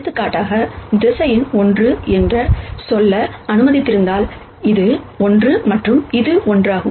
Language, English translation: Tamil, So, for example, if you have let us say 1 as your vector, and if this is one and this is one, then the point will be here and so on